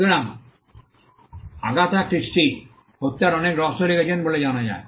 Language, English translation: Bengali, So, Agatha Christie is known to have written many murder mysteries